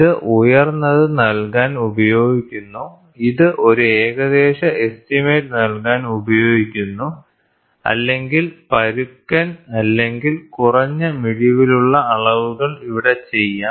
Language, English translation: Malayalam, So, it is used to give a high, it is used to give a rough estimate or rough or low resolution measurements can be done here